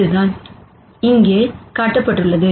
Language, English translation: Tamil, And this is what is shown here